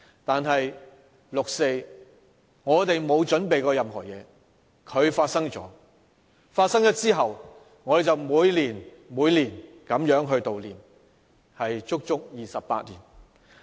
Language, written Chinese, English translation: Cantonese, 但是，對於六四，當年我們並沒有任何準備，而它發生了，自此之後，我們便每年每年的悼念，足足28年。, But the 4 June incident is different . Back then we were not in the least prepared for it and it happened and we have since commemorated it year after year for altogether 28 years now